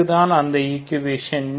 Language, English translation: Tamil, So, what is the equation